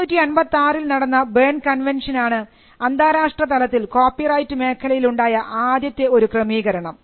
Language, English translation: Malayalam, The first international arrangement on copyright was the Berne Convention in 1886